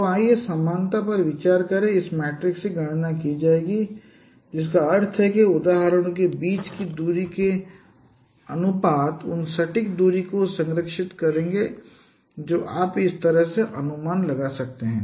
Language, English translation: Hindi, So, uh, let us consider up to similarity we will be computing this matrix, which means the ratios of the distances between no ages, those will be preserved, not the exact distance that you can estimate in this way